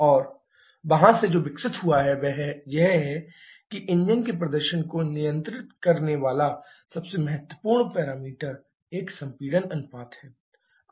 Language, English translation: Hindi, And from there what is evolved is that the most important parameter governing the engine performance is a compression ratio